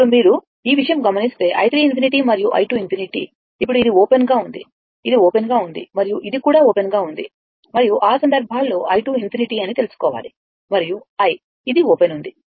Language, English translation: Telugu, Now, if you come ah this thing i 1 infinity and i 2 infinity, right; now, as this is as this is open, as this is open and this is also open right and in that case, you have to find out that your i 2 infinity and i this is open